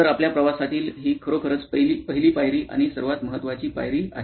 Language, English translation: Marathi, So, this really is the first step and the most important step in our journey here